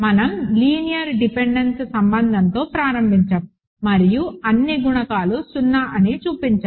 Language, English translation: Telugu, We started with the linear dependence relation and showed that all the coefficients are 0